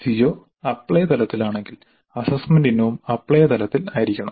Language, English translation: Malayalam, If the CO is at apply level the assessment item also should be at apply level